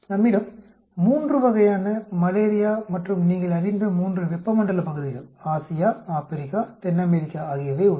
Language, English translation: Tamil, We have say incidence of 3 types of Malaria and 3 tropical regions you know Asia, Africa, South America